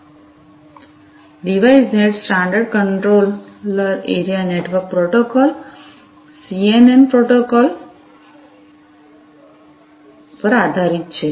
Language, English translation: Gujarati, So, Device Net is based on the standard controller area network protocols, CAN protocol